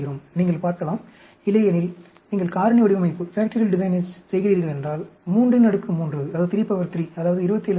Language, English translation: Tamil, You can see; otherwise, if you are doing a factorial design, 3 raised to the power 3, that is 27 experiments